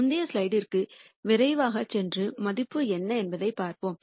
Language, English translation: Tamil, Let us go back quickly to the previous slide and see what the value was